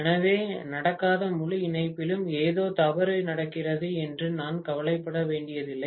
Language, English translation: Tamil, So, I do not have to worry that something is really going wrong with the entire connection that will not happen